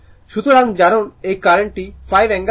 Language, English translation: Bengali, So, current I is equal to 5 angle 45 degree right